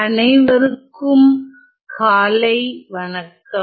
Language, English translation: Tamil, Good morning everyone